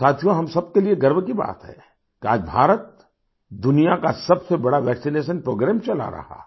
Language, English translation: Hindi, Friends, it's a matter of honour for everyone that today, India is running the world's largest vaccination programme